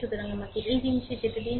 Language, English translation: Bengali, So, let me go to this thing